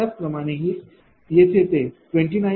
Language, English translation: Marathi, Similarly, here it is 29